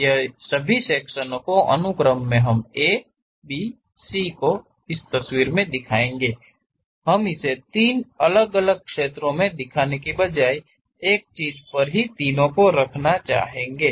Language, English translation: Hindi, All these A, B, C I would like to represent only on one picture; instead of showing it three different pictures, we would like to have three on one thing